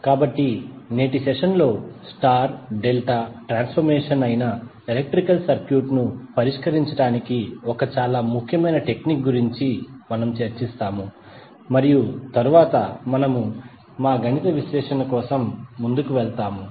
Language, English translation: Telugu, So in today’s session, we will discuss about 1 very important technique for solving the electrical circuit that is star delta transformation and then we will proceed for our math analysis